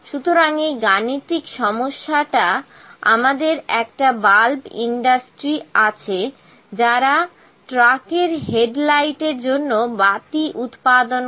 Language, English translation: Bengali, So, in the numerical problem we have in this question a bulb industry produces lamps for the headlights of trucks